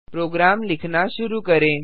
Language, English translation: Hindi, Let us start to write a program